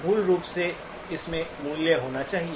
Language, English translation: Hindi, Basically it should have values